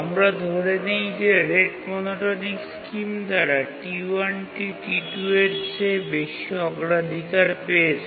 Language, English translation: Bengali, And let's assume that by the red monotonic scheme, T1 has higher priority than T2